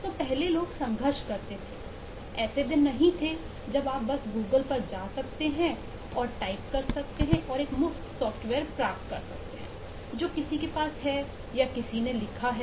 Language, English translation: Hindi, so, maa, we struggled in doing those was that was not that day when you could just go to google and type and get a free software which has which somebody has written for you